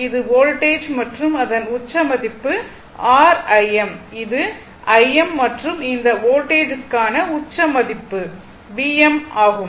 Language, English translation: Tamil, It is the voltage and the peak value for this one is your I m it is I m and peak value for this voltages is V m right